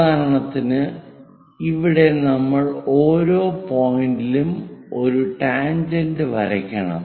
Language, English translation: Malayalam, For example, here we have to draw a tangent at each and every point of this